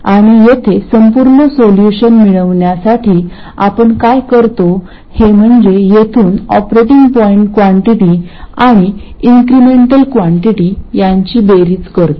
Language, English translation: Marathi, And to get the total solution here, what we do is we sum the operating point quantities which are these and the incremental quantities from here